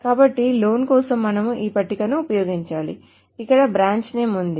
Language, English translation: Telugu, So for the loan, we need to use this table where the branch name is there